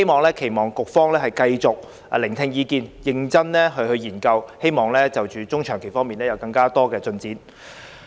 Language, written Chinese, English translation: Cantonese, 我期望局方繼續聆聽意見，認真研究，希望中長期措施方面會有更多進展。, I expect the Bureau to keep listening to opinions for serious consideration hoping that more progress in respect of medium - and long - term measures can be made